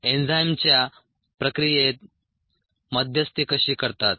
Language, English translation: Marathi, how the enzymes mediates the process, how does it get involved in the process